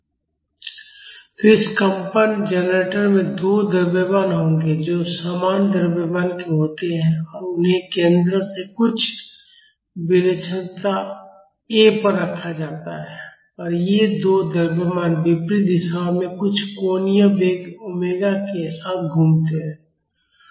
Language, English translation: Hindi, So, this vibration generator will have 2 masses which are of equal mass and they are placed at some eccentricity a from the center and these two masses rotate in opposite directions with some angular velocity omega